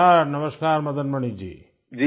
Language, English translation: Hindi, Namaskar… Namaskar Madan Mani ji